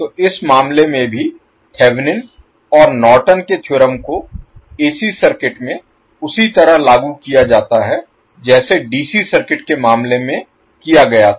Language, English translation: Hindi, So, in this case also the Thevenin’s and Norton’s theorems are applied in AC circuit in the same way as did in case of DC circuit